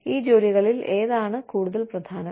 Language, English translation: Malayalam, Which of these jobs is more important